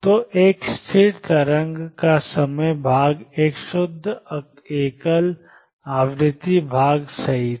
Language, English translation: Hindi, So, time part of a stationary wave was a pure single frequency part right